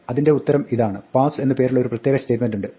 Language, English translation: Malayalam, So the answer is, that there is a special statement called pass